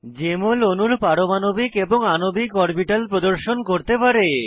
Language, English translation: Bengali, Jmol can display atomic and molecular orbitals of molecules